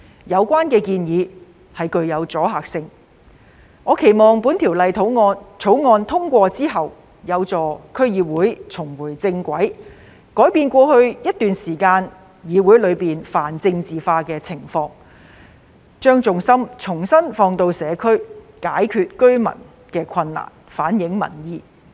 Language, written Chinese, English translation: Cantonese, 有關建議具有阻嚇力，我期望《條例草案》通過後，有助區議會重回正軌，改變過去一段時間議會泛政治化的情況，把重心重新放在社區，解決居民的困難，反映民意。, This proposal does have a deterrent effect and I hope that after the passage of the Bill DCs will return to the right track and eradicate the pan - politicalization phenomenon that had prevailed thereby bringing their focus back to the community so as to solve problems in the community and reflect public opinion